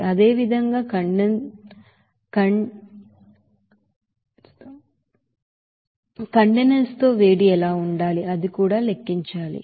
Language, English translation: Telugu, Similarly, what should be the heat with condensate, that also to be calculated